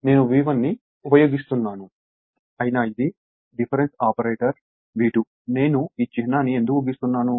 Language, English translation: Telugu, I am using V 1, it is difference of course, a difference operator V 2 right; why, I have why I have made this symbol